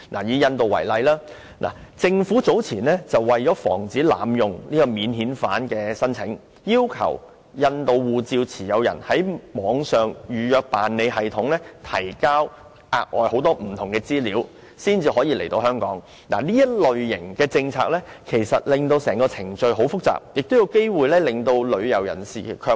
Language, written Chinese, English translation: Cantonese, 以印度為例，香港政府早前為防止濫用免遣返聲請，要求印度護照持有人必須在網上預辦登記系統提交很多額外資料才可來港，這類政策使程序變得複雜，亦有機會令旅遊人士卻步。, Earlier on to prevent abuse of non - refoulement claims the Hong Kong Government has required holders of Indian passports to submit a lot of additional information online in the pre - arrival registration system before travelling to Hong Kong . Such a policy has made the procedures more complicated . It may also discourage tourists from coming to Hong Kong